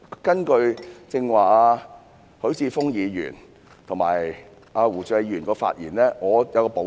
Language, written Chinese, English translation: Cantonese, 根據剛才許智峯議員和胡志偉議員的發言，我只作少許補充。, This approach I will only add a few points based on the earlier speeches of Mr HUI Chi - fung and Mr WU Chi - wai